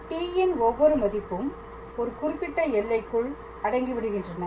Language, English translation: Tamil, So, for every value of t, there corresponds a definite point